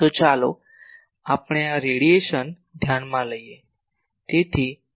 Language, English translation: Gujarati, So, let us consider this radiation